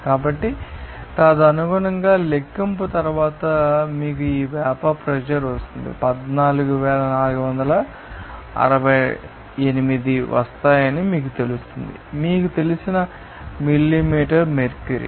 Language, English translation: Telugu, So, accordingly, after calculation, you will get this vapour pressure will be you know that will be coming 14,468 you know that millimeter mercury like this